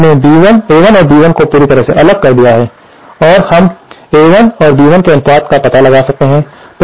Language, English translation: Hindi, So, this way we have completely separated A1 and B1 anthers we can find out the ratio of A1 and B1